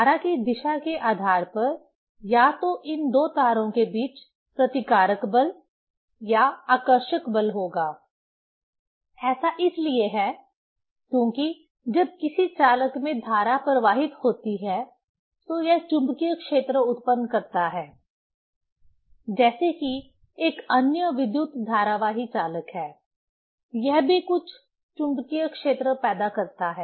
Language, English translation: Hindi, Either repulsive force between these two wires or attractive force depending on the direction of the current, that is because, when current flows in a conductor it produce magnetic field; as if another current carrying conductor, it also produces some magnetic field